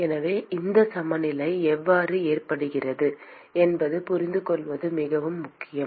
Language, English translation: Tamil, So this is very important to understand how this balance comes about